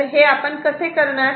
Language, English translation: Marathi, So, how we can do it